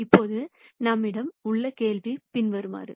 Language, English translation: Tamil, Now the question that we have is the following